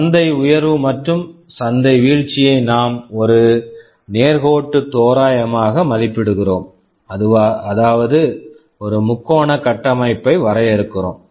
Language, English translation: Tamil, Market rise and market fall we approximate it straight lines that means we define a triangular structure